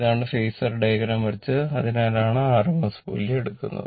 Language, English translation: Malayalam, This is phasor diagram is drawn, that is why rms value is taken, right